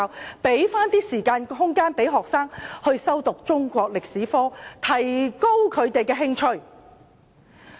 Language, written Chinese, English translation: Cantonese, 我認為應騰出時間和空間讓學生修讀中史科，提高他們的興趣。, I consider it necessary to set aside time and space for the teaching of Chinese history in order to raise the interests of students